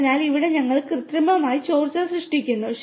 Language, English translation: Malayalam, So, here we artificially create leakage